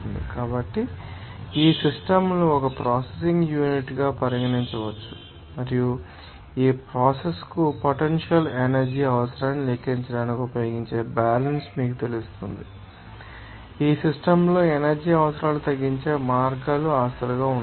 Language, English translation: Telugu, So, these systems can be regarded as one processing unit also and the balance, which would be you know, that used to calculate the net energy requirement for the process and they need to be assets as ways of reducing energy requirements in the systems